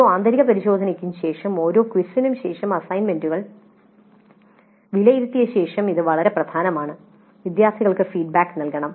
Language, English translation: Malayalam, After every internal test, after the quiz, after the assignments are turned in and evaluated, feedback must be provided to the students